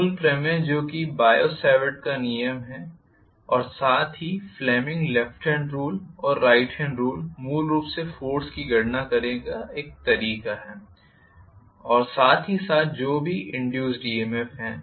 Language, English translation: Hindi, The fundamental theorem that is the biot savart’s law as well as you know the Fleming’s left hand and right hand rule give you basically a way to calculate the force and as well as whatever is the EMF induced